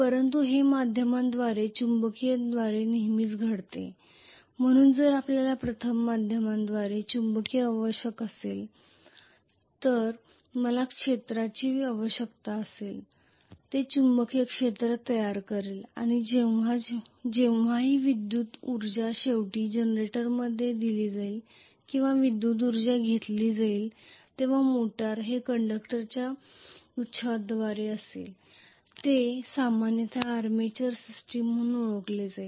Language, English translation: Marathi, So if we require magnetic via media first of all I will need a field system which will create the magnetic field and whenever electrical energy is ultimately given out in generator or electrical energy is taken in a motor this will be through bouquet of conductors which is generally known as the armatures system